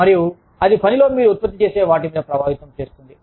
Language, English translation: Telugu, And, that can affect, what you produce at work